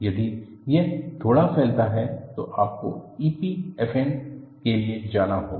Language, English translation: Hindi, If it is spread slightly, then you will have to go in for E P F M